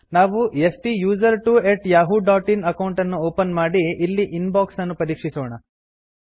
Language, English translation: Kannada, We have to open the STUSERTWO@yahoo.in account and check the Inbox